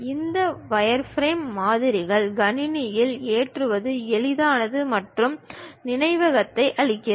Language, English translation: Tamil, These wireframe models are easy to load it on computer and clear the memory also